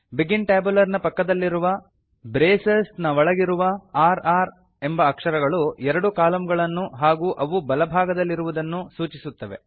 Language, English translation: Kannada, The r r characters within the braces next to the begin tabular say that there are two columns and that they are right aligned